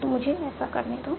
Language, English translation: Hindi, So now, let us see